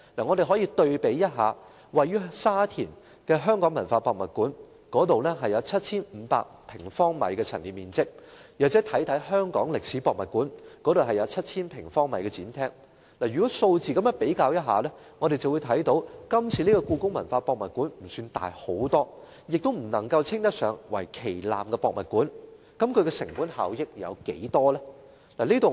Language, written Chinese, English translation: Cantonese, 我們可以對比一下位於沙田的香港文化博物館，那裏有 7,500 平方米的陳列面積，又或看看香港歷史博物館，那裏有 7,000 平方米的展廳。如此一對比，我們會看到故宮館並不特別大型，亦不能夠稱得上為旗艦博物館，那麼其成本效益有多大呢？, We can compare HKPM with the Hong Kong Heritage Museum in Sha Tin featuring an exhibition area of some 7 500 sq m Let us also consider the Hong Kong Museum of History which has an exhibition area of 7 000 sq m In contrast HKPM is not particularly large and it cannot be regarded as the flagship museum . What then is the cost - effectiveness?